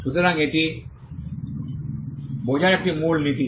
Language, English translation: Bengali, So, this is a key principle to understand